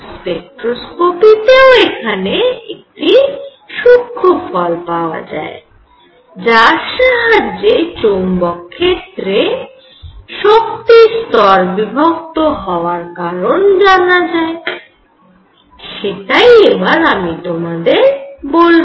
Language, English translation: Bengali, And the spectroscopy there is one more subtle point for the splitting of levels in magnetic field which I will explain in a minute